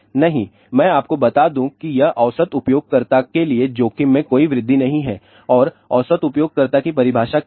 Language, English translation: Hindi, No, let me tell you this is no overall increase in the risk is for average user and what is the definition of average user